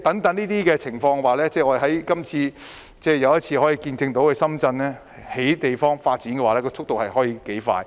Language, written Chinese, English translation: Cantonese, 在這些情況下，又一次見證深圳的樓宇發展速度可以有多快。, Under such circumstance it once again demonstrates how fast the construction pace in Shenzhen is